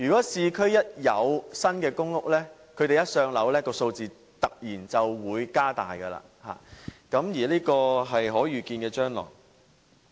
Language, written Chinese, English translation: Cantonese, 當市區推出新公屋，他們一"上樓"，數字便會突然變大，這個是可預見的將來。, Once new public housing in urban areas is available and allocated the waiting time will see a sharp increase . This is foreseeable